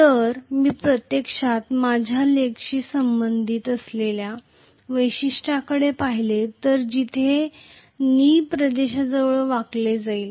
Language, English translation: Marathi, So, if I actually look at the characteristics as you know corresponding to my leg, where it is going to be bend near knee region